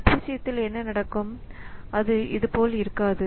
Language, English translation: Tamil, Now in case of thread what happens is that it is not like that